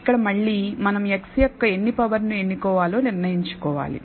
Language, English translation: Telugu, Here again, we have to decide how many powers of x we have to choose